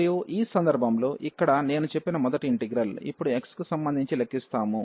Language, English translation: Telugu, And in this case, so here the first integral as I said, we will compute with respect to x now